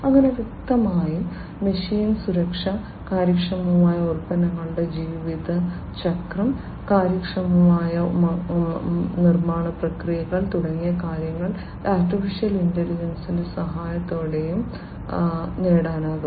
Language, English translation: Malayalam, So; obviously, things like machine learning sorry machine safety, efficient products lifecycle, efficient manufacturing processes, these could be achieved with the help of AI